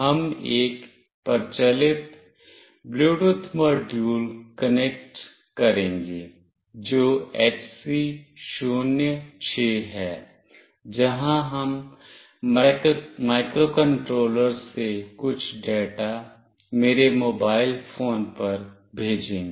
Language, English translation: Hindi, We will be connecting a popular Bluetooth module that is HC 06, where we will be sending some data from the microcontroller to my mobile phone